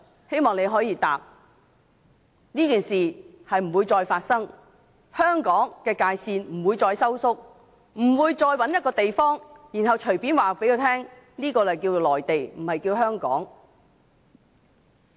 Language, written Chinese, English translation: Cantonese, 希望你可以回答，這件事不會再發生，香港的界線不會再收縮，不會再找一個地方，然後隨便告訴我們，這裏是內地，不是香港。, I hope you can reply that similar case will not occur the Hong Kong territory will not be shrunk and we will not be casually told that another area in Hong Kong has been identified as a Mainland area